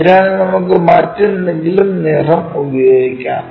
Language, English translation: Malayalam, So, let us use some other color